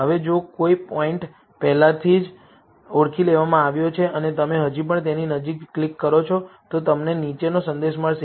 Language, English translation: Gujarati, Now, if a point has already been identified and you still click near it, then you will get the following message